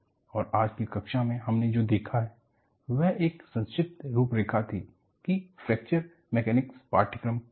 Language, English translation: Hindi, And, what we have seen in today’s class was, a brief outline of, what is the course on Fracture Mechanics